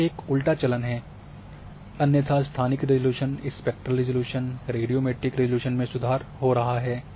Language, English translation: Hindi, So, this going to be a reverse fashion otherwise spatial resolution is improving, spectral resolution is improving and radiometric resolution is also improving